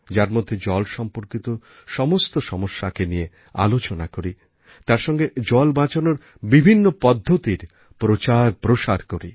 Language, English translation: Bengali, In this campaign not only should we focus on water related problems but propagate ways to save water as well